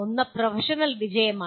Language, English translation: Malayalam, One is professional success